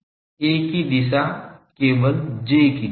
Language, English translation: Hindi, Direction of A is simply the direction of J